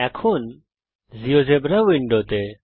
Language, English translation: Bengali, Now to the geogebra window